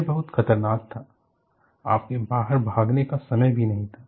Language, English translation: Hindi, It is very dangerous; there is not even time for you to escape out